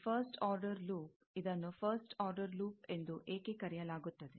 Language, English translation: Kannada, This first order loop, why it is called first order